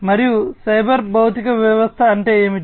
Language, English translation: Telugu, And what is a cyber physical system